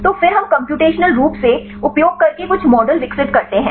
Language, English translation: Hindi, So, then we develop some models using computationally